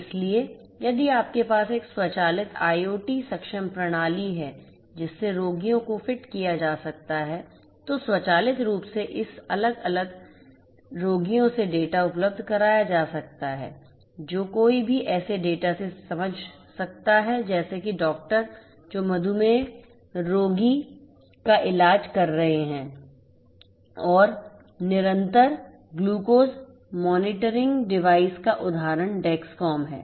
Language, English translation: Hindi, So, if you have an automated IoT enabled system to which the patients can be fitted, then a automatically the data from this different patients can be made available to whoever can make sense out of the data such as doctors who are treating the patient the diabetes patient and so on and example of continuous glucose monitoring device is the Dexcom